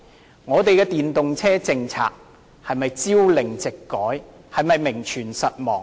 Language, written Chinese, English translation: Cantonese, 究竟我們的電動車政策是否朝令夕改，是否名存實亡呢？, Does it mean that the Governments policy on EVs is inconsistent and merely nominal?